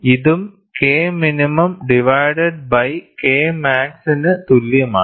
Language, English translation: Malayalam, This is also equal to K minimum divided by K max